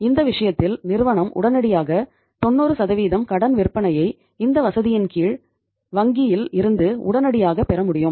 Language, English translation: Tamil, So in this case firm immediately could get 90% of the credit sales they could immediately get from the bank under this facility